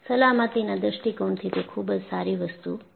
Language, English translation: Gujarati, So, it is good from the point of view of safety